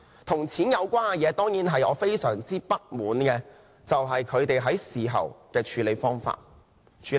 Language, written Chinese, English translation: Cantonese, 跟錢有關的事情，而我非常不滿的就是他們在事後的處理方法。, This matter has something to do with money . I am most dissatisfied with their way of handling the incident